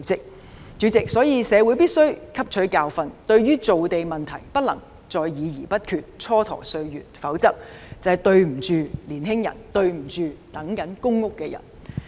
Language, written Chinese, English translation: Cantonese, 因此，主席，社會必須汲取教訓，對於造地問題不能再議而不決，蹉跎歲月，否則就愧對年青人和正在輪候公屋的人士。, Therefore President we must learn the lessons and should not continue to waste time and engage in discussion without decision on the issue of land development; otherwise we should feel remorseful in the face of the young people and those on the public rental housing PRH waiting list